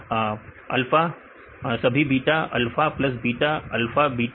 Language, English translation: Hindi, All alpha, all beta, alpha plus beta, alpha beta